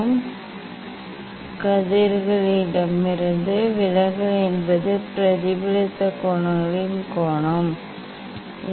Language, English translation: Tamil, that is the deviation from direct rays what is the angle of what is the angle of the reflected rays